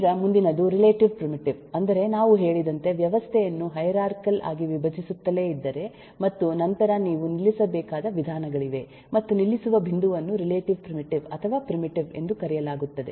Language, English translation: Kannada, next is relative primitive, that is, if we keep on decomposing the system in the hierarchy manner, as we have said, and uhhhmm, then there are some where you will have to stop, and that stopping point is called the relative primitive or the primitive